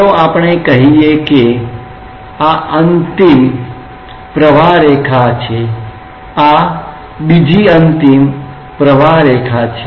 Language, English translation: Gujarati, Let us say that this is one extreme streamline this is another extreme streamline